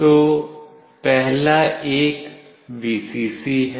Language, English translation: Hindi, So, first one is Vcc